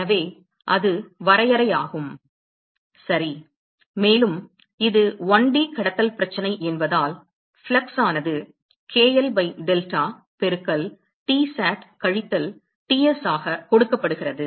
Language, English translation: Tamil, So, that is the definition right and so, from because it is a 1D conduction problem the flux is given by k l by delta into Tsat minus Ts